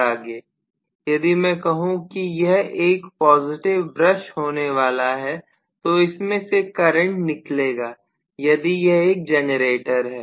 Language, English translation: Hindi, If I say that this is the positive brush, right if I say that this is going to be a positive brush, the current will be coming out of this if it is a generator, right